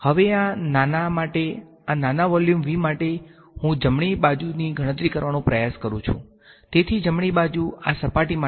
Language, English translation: Gujarati, Now for this small for this very small volume v, I let me try to calculate the right hand side so the right hand side now this for the surface